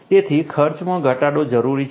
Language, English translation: Gujarati, So, reduction in the expenditure is required